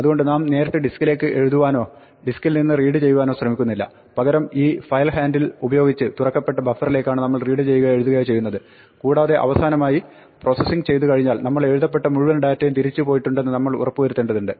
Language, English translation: Malayalam, So, we do not directly try to read and write from the disk, instead we read and write from the buffer that we have opened using this file handle and finally, when we are done with our processing we need to make sure that all the data that we have written goes back